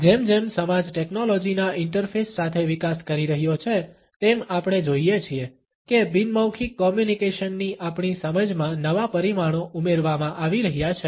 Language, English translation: Gujarati, As a society is developing with the interface of technology we find that newer dimensions in our understanding of nonverbal communication are being added